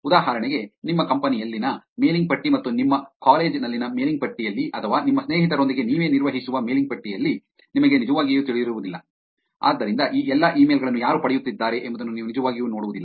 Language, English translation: Kannada, For example, in a mailing list in your company and mailing list in your college or mailing list that you maintain for yourself with your friends, so all of this you do not really get to see who is getting these emails